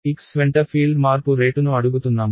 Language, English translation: Telugu, I am asking you rate of change of the field along x